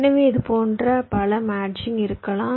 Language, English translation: Tamil, so there can be multiple such matchings